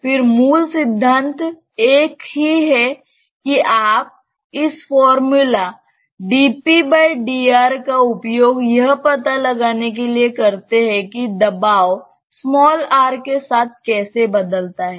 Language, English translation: Hindi, Again, the basic principle is the same you just use this dp dr formula to find out how pressure varies with r